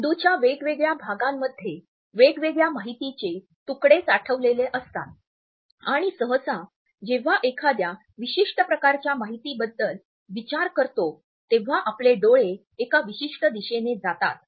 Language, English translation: Marathi, We hold different pieces of information in different parts of our brain and usually when we are thinking about a particular type of information our eyes will go in one particular direction